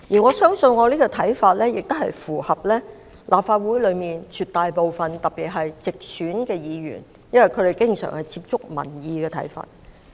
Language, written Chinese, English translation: Cantonese, 我相信這個看法亦符合立法會內絕大部分議員的意見，因為他們能經常接觸民意。, I believe this view is in line with the views of most Members as they maintain frequent contacts with members of the public and listen to their views